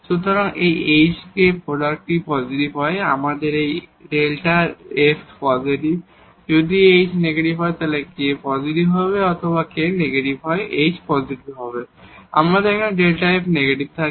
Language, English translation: Bengali, So, here this hk if this product is positive, we have this delta f positive, if this h is negative and k is positive or k is negative h is positive, we have delta f negative